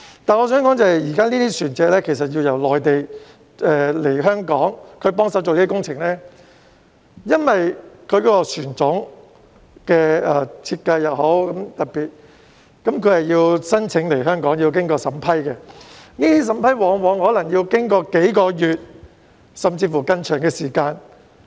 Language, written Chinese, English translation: Cantonese, 但是，我想指出的是，這些船隻要由內地來港協助進行工程，但由於船種的設計很特別，申請來港需要經過審批，往往可能需時數個月，甚至更長的時間。, However I would like to point out that these vessels need to come to Hong Kong from the Mainland to assist in the works but due to their special designs applications for entry are required and the approval may take several months or even longer